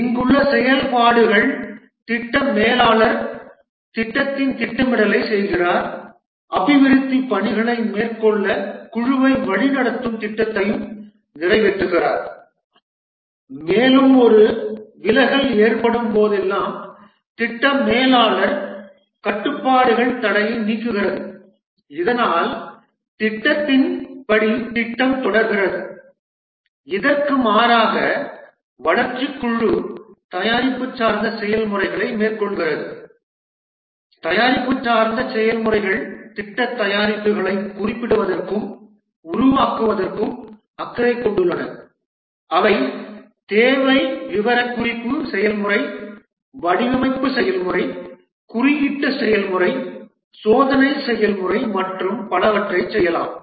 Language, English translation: Tamil, The activities here the project manager performs the planning of the project, executing the plan that is directing the team to carry out development work and whenever there is a deviation the project manager controls removes the bottleneck so that the project proceeds as per the plan in contrast the development team carries out product oriented processes the product oriented processes are concerned with specifying and creating the project products, that is they may do the requirement specification process, design process, coding process, testing process and so on